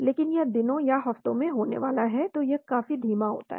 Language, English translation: Hindi, But this is going to be in days or weeks , so this is much slower